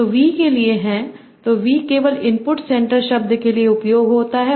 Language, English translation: Hindi, So, v is usually only for the input, center word